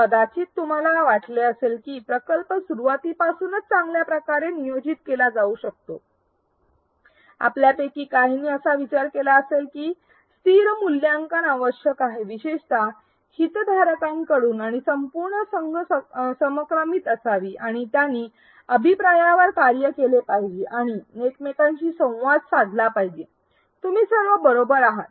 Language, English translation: Marathi, Perhaps you thought that the project could have been well planned from the beginning, some of you may have thought that there is a need for constant evaluation especially with the stakeholders and the entire team should be in sync and they should be act on the feedback and communicate with each other all of you are right